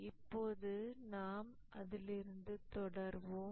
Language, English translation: Tamil, Let's proceed from that point